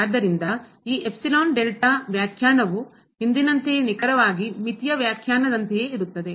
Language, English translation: Kannada, So, this epsilon delta definition is exactly the same as earlier for the limit